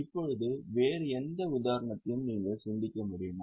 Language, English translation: Tamil, Now, can you think of any other example